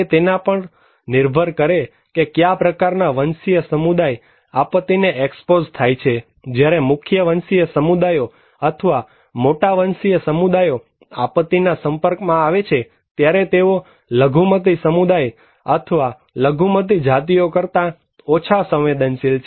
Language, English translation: Gujarati, It is also depends on what kind of ethnicity these are exposed to disasters when a mainstream ethnic community or majority of ethnic community they are exposed; they are less vulnerable than a minority community or minority ethnic races